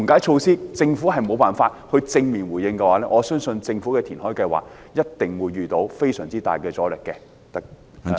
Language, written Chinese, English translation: Cantonese, 如果政府沒有緩解措施作出正面回應，我相信政府的填海計劃一定會遇到非常大的阻力。, If the Government does not have any relief measures as a positive response I believe its reclamation project will definitely meet enormous resistance